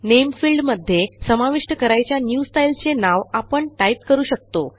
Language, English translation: Marathi, In the Name field we can type the name of the new style we wish to insert